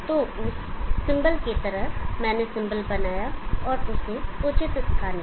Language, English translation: Hindi, So like that the symbol I made the symbol and placed it the proper place